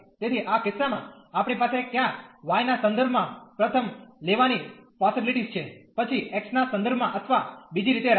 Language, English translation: Gujarati, So, in this cases we have either the possibility of taking first with respect to y, then with respect to x or the other way round